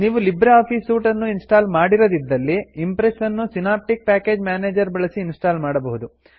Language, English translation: Kannada, If you do not have LibreOffice Suite installed, Impress can be installed by using Synaptic Package Manager